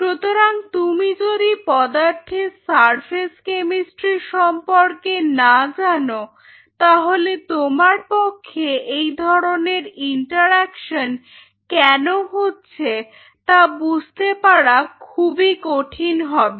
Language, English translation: Bengali, So, now, unless otherwise you know the surface chemistry of any material it is extremely tough for you to quantify that why this interaction is happening